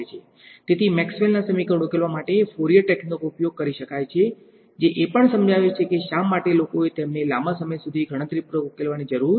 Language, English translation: Gujarati, So, Fourier techniques can be applied to solve Maxwell’s equations which also explains why people did not need to solve them computationally for a long time because